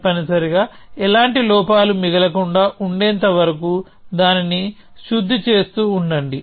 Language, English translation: Telugu, Keep refining it till there are no flaws left essentially